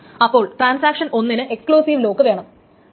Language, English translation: Malayalam, So transaction 1 wants an exclusive lock